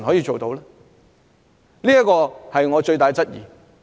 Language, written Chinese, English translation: Cantonese, 這是我最大的質疑。, That is my biggest question